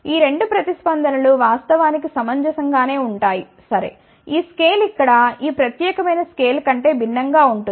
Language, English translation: Telugu, That the 2 responses are actually reasonably ok, it is just that this scale is different than this particular scale over here